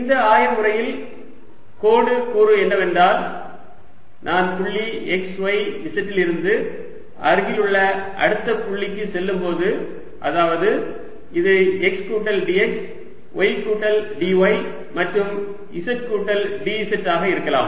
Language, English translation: Tamil, line element in this coordinate system is when i go from point x, y, z to a next point nearby, which could be x plus d, x, y plus d, y and z plus d z